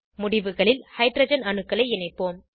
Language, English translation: Tamil, Let us attach hydrogen atoms at the ends